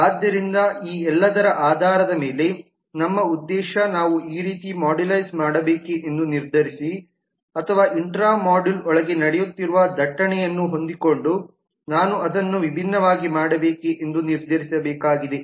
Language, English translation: Kannada, so based on all this our intention is to decide should we modularize like this, like this and like this or should i do it differently so that the intra module that is the intra module the traffic that is happening within this